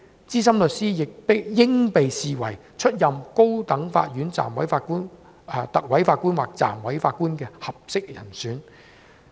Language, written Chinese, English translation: Cantonese, 資深律師應被視為出任高等法院特委法官或暫委法官的合適人選。, Senior solicitors should be regarded as suitable candidates for appointment as Recorders or Deputy Judges in the High Court